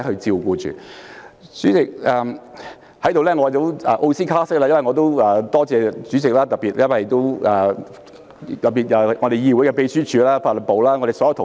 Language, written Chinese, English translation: Cantonese, 主席，我也要奧斯卡式特別多謝主席，還有議會的秘書處、法律事務部所有同事。, President I would also like to give my Oscar - style special thanks to you as well as all colleagues in the Secretariat of the Council particularly the Legal Service Division